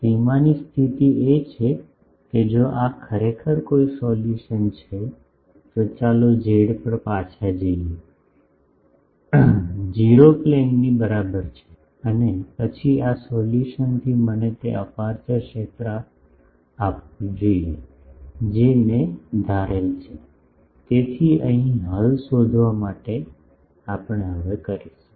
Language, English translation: Gujarati, The boundary condition is, if this is really a solution, let us go back to z is equal to 0 plane and then this solution should give me the aperture field that I have assumed; so, that we will do now, to find the solution here